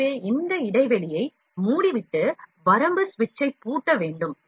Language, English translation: Tamil, So, we need to shut this gap and lock the limit switch